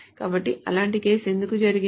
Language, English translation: Telugu, So why is such a case done